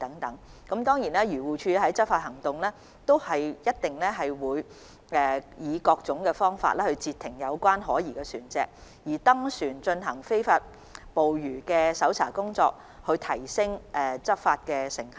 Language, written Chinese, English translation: Cantonese, 當然，漁護署在執法時會以各種方法截停可疑船隻，例如登船進行非法捕魚的搜查工作來提升執法成效。, Of course AFCD will intercept suspicious vessels by various means in law enforcement eg . boarding vessels to search for evidence of illegal fishing so as to enhance the effectiveness of law enforcement